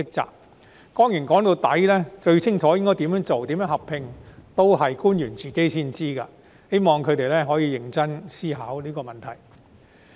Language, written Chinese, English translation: Cantonese, 說到底，只有官員才最清楚應該怎樣做及如何合併，我希望他們可以認真思考這個問題。, After all officials should know best what to do and how to merge . I hope that they can weigh this up seriously